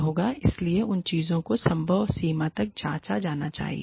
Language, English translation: Hindi, So, those things, should be checked, to the extent possible